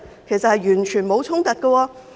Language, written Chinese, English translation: Cantonese, 其實完全沒有衝突。, Indeed there is none at all